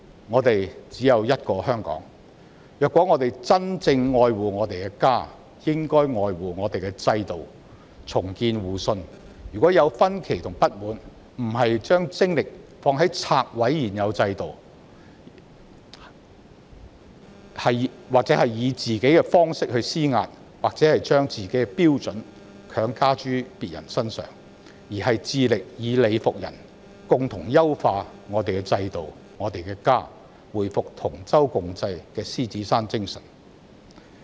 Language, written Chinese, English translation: Cantonese, 我們只有一個香港，如果我們真正愛護我們的家，便應愛護我們的制度，重建互信；如有分歧和不滿，不把精力放在拆毀現有制度，以自己的方式施壓，把自己的標準強加諸他人身上，而是致力以理服人，並且優化我們的制度及我們的家，回復同舟共濟的獅子山精神。, We only have one Hong Kong . If we truly love our home we should cherish our system and rebuild mutual trust . Even if there are discrepancies and discontent we should not put our strength on knocking down the present regime exerting pressure in our own way or imposing arbitrarily our norms on others; instead we should try our best to convince others with reasons improve our system and our home so as to reinstate the Lion Rock spirit of mutual care and assistance